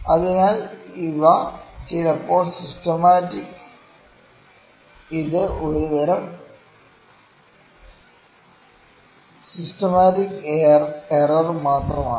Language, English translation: Malayalam, So, these are some time systematic, it is a kind of the systematic error only